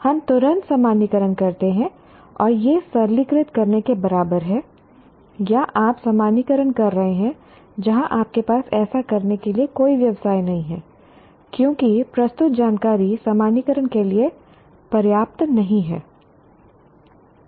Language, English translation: Hindi, It is equivalent to oversimplifying or you are generalizing where you do not have any business to do so because the presented information is not adequate to generalize